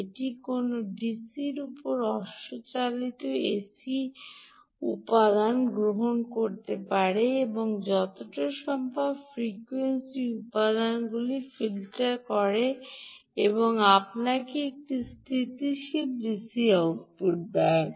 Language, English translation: Bengali, it can take fluctuating ac ac component riding over a dc and filter out the frequency components as much as possible and give you a stable dc output